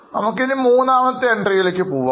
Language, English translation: Malayalam, Now let us go to the third one